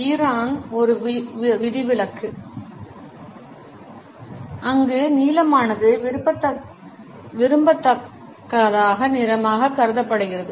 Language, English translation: Tamil, Iran is an exception where blue is considered as an undesirable color